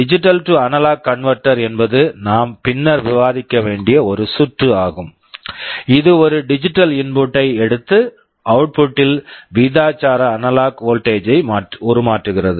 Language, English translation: Tamil, A digital to analog converter that we shall be discussing later is a circuit which takes a digital input and produces a proportional analog voltage at the output